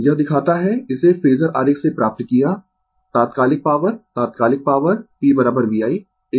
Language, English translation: Hindi, This we show got it from phasor diagram the instantaneous power instantaneous power p is equal to v i